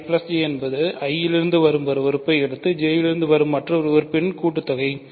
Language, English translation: Tamil, I plus J is sum of things one coming from I and the coming from J